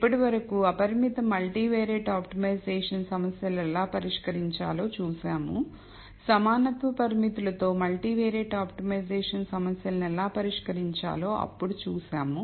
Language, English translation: Telugu, Then we saw how to solve multivariate optimization problems with equality constraints